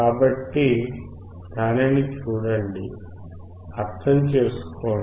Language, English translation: Telugu, So, look at it, understand it